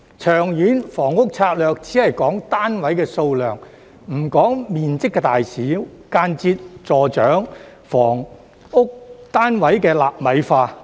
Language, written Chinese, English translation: Cantonese, 《長遠房屋策略》只講單位數量，不講面積大小，間接助長房屋單位"納米化"。, The Long Term Housing Strategy only talks about the number but not the size of the flats which indirectly promotes the nanonization of housing units